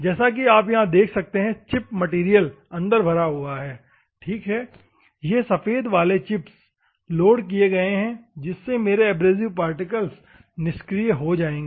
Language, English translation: Hindi, As you can see here, chip material is loaded inside, ok, these white one chips are loaded, so that my abrasive particles will become inactive